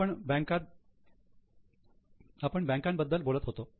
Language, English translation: Marathi, We were discussing about the bankers